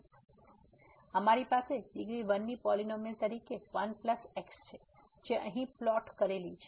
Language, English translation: Gujarati, So, we have the polynomial of degree 1 as 1 plus which is plotted here